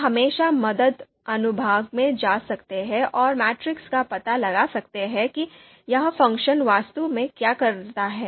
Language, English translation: Hindi, So you can always go into the you know help section and we can always type matrix to find out what this function actually does